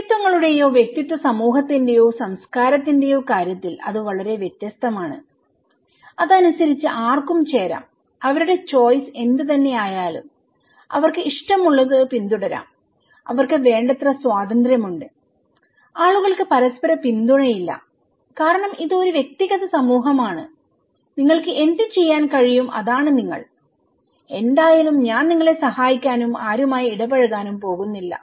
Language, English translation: Malayalam, In case of individualities, individualistic society or culture, it’s very different according to it’s like free whoever can join whatever choice they have, they can pursue whatever like, they have enough freedom and people have no mutual support because it’s very individualistic society, you are what you can do but I am not going to help you anyway and interact with anyone you like, okay